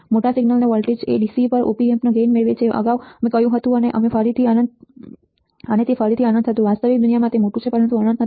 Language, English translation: Gujarati, Large signal voltage gain the gain of the Op amp at DC right earlier we said and that again was infinite, in real world is it is large, but not infinite